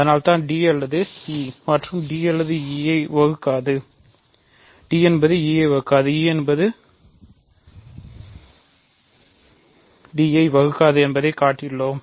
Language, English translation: Tamil, So, it is either d or e, and we just showed that d does not divide e, e does not divide d